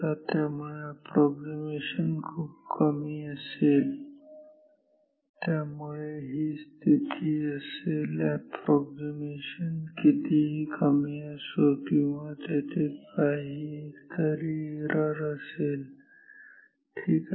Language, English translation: Marathi, So, the approximation will be much lower, but this will be the situation no matter how small is the approximation or error there will be some error ok